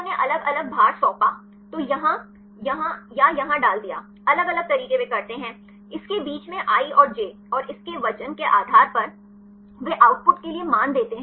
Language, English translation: Hindi, So, they assigned different weights; so, put either here or here; different ways they do; between this i and j and based on its weight; they give the values for the output